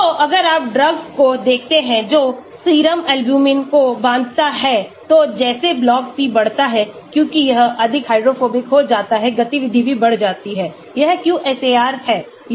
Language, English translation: Hindi, So, if you look at drugs which binds to serum albumin, so as log p increases because as it becomes more hydrophobic activity also increases, this is the QSAR